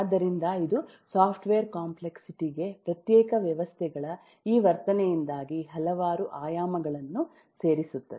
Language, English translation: Kannada, so it adds a several dimension of complexity to the software because of this behavior of discrete systems